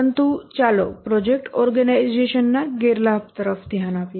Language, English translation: Gujarati, But let's look at the disadvantage of the project organization